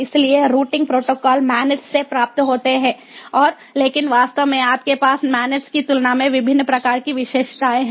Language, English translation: Hindi, so routing protocols are derived from the manets and but here actually, you have different types of characteristics than manets